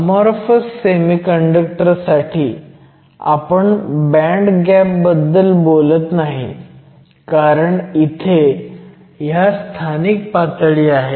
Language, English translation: Marathi, In the case of an amorphous semiconductor, we no longer talk about a band gap because we have all of these localized states